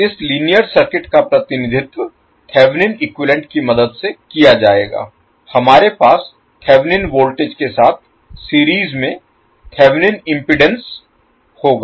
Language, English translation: Hindi, This linear circuit will be represented with the help of Thevenin equivalent, we will have Thevenin voltage in series with Thevenin impedance